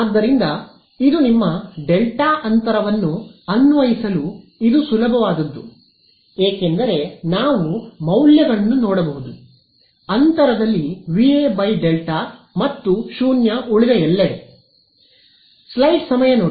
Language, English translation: Kannada, So, this is your delta gap which is this easiest one to apply because, is just we can see the values V A by delta in the gap and 0 everywhere else